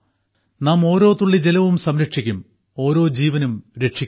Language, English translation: Malayalam, We will save water drop by drop and save every single life